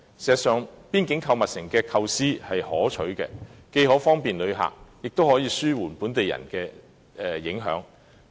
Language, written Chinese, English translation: Cantonese, 事實上，邊境購物城的構思可取，既可方便旅客，亦可紓緩對本地市民的影響。, In fact the development of a boundary shopping mall is a good idea for it can provide convenience to visitors and alleviate the impact on the local people